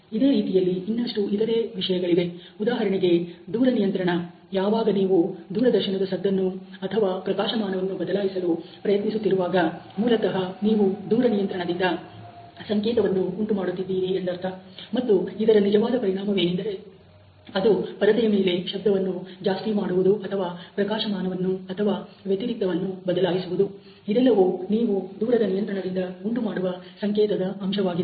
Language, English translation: Kannada, Similarly there are other things like for example, remote control, when you are trying to change the volume or the brightness of a television, you basically generating the signal from the remote control and it is actually resulting in the influence on the screen ok in terms of the volume increase or in terms of the brightness or contrast change associated with this signal factor that you are generating through the remote